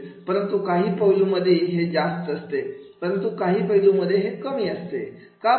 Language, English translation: Marathi, But in some aspects it is high, but in some aspects it is low